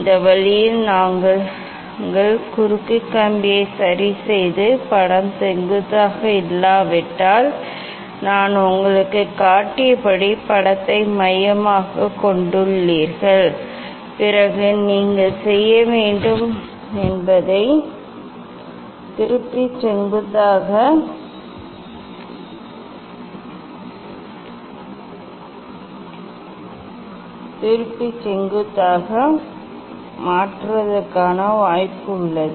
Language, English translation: Tamil, this way we adjust the cross wire and focus the image as I showed you if image is not vertical, then you have to; you have to turn the slit and make it vertical there is a scope of turning the slit in its own plane